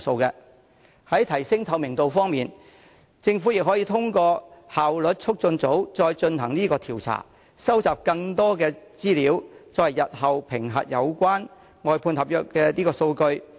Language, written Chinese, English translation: Cantonese, 在提升透明度方面，政府可透過效率促進組再進行調查，收集更多資料，作為日後評核有關外判合約的數據。, In terms of enhancing transparency the Government can carry out researches again through the Efficiency Unit to collect more information which provides data for assessment of the relevant outsourced service contracts in future